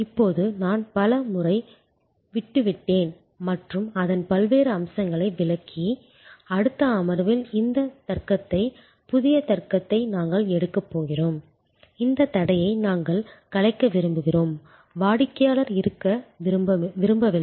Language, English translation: Tamil, Now, I have a leaved to this number of times and explain different aspects of it and we are going to take up in the next session this logic, the new logic where we want to dissolve this barrier, we do not want the customer to be passive, we want the customer to be part of the process